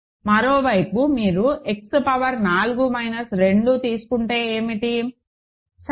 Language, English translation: Telugu, On the other hand what is if you take X power 4 minus 2, ok